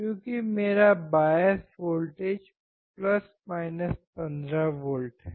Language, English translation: Hindi, Because my bias voltage is + 15V